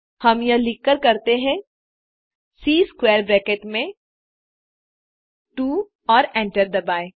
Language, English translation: Hindi, So type A within square bracket2 and hit enter